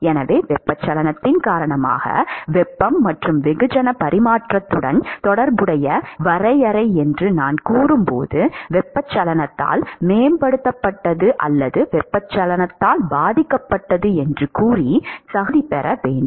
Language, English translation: Tamil, So, when I say definition associated with heat and mass transfer due to convection, I should rather qualify it by saying enhanced by convection or affected by convection